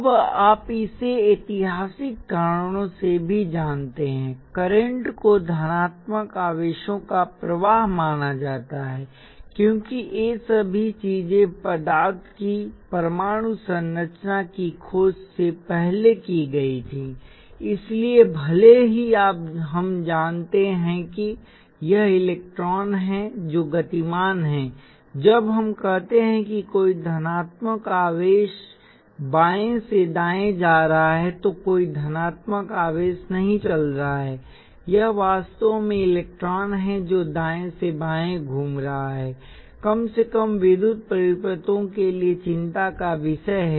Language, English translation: Hindi, Now, you also very likely know this for historical reasons, current is consider to be the flow of positive charges, because all these things done before atomic structure of matter was discovered, so even though we know now that it is the electrons that are moving, there are no positive charges that are moving when we say a certain positive charges moving from left to right, it is really electron that is moving from right to left at least as for electrical circuits are concern